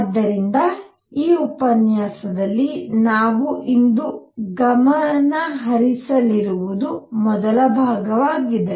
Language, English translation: Kannada, So, what we are going to focus today in this lecture on is the first part